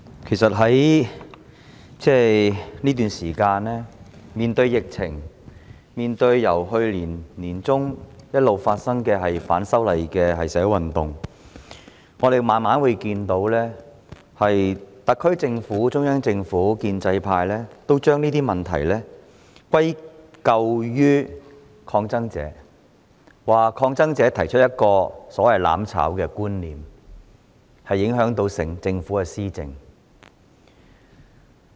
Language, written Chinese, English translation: Cantonese, 主席，在過去一段時間，面對疫情及由去年年中一直進行的反修例社會運動，可以逐漸看到特區政府、中央政府和建制派將種種問題歸咎於抗爭者，指抗爭者提出"攬炒"之說，影響政府施政。, Chairman Over the past period of time in the face of the current epidemic as well as the social movement against the proposed amendments of the Fugitive Offenders Ordinance which has been going on since the middle of last year the SAR Government the Central Government and the pro - establishment camp have gradually resorted to laying the blame for the many problems on protesters criticizing them for putting forward the idea of mutual destruction and undermining the governance of the Government